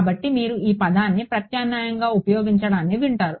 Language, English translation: Telugu, So, you will hear this word being use alternative